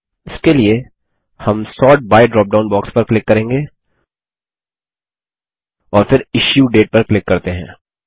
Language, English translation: Hindi, For this, we will click the Sort by dropdown box, and then click on Issue Date